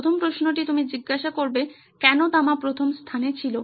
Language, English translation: Bengali, First question you would ask is why did the copper was there in the first place